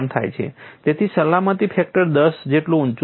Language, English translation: Gujarati, So, the safety factor is as high as ten